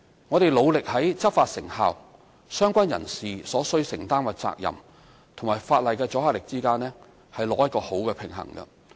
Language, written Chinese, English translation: Cantonese, 我們努力在執法成效、相關人士所需承擔的責任和法例的阻嚇力之間，取得適當的平衡。, We endeavour to strike a proper balance amongst the effectiveness of enforcement the legal liabilities to be borne by relevant persons and the deterrent effect of the law